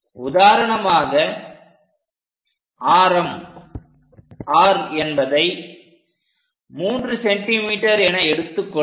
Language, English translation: Tamil, Maybe r let us pick something like 3 centimeters